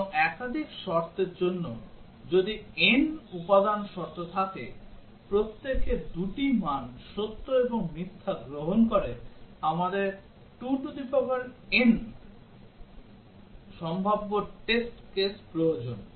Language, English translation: Bengali, And for multiple conditions, if there are n component conditions, each one taking two values true and false, we need 2 to the power n possible test cases